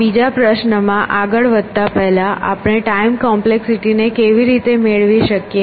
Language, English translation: Gujarati, Before we move on to this other question of, how can we get around time complexity